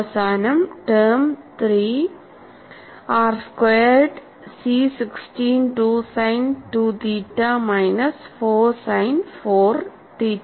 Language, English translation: Malayalam, And the last term is plus 12 r square C 26 sin 2 theta minus half sin 4 theta